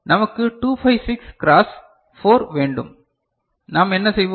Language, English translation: Tamil, And we want 256 cross 4, what we will do